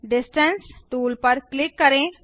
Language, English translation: Hindi, Click on Distance tool